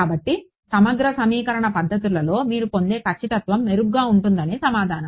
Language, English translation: Telugu, So, the answer is that the accuracy that you get with integral equation methods is much better